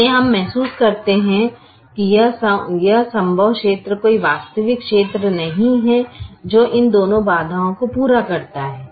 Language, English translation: Hindi, so we realize that this feasible region, there is no actual region which satisfies both this constraint